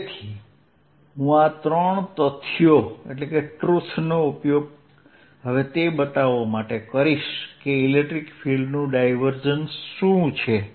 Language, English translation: Gujarati, we are now going to specialize to electric field and talk about the divergence of an electric field